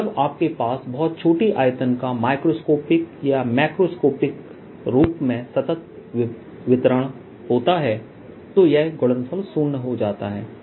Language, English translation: Hindi, so when you have a continuous distribution so that the volumes of microscopic or macroscopically very small, so that the product goes to of zero, then there is no problems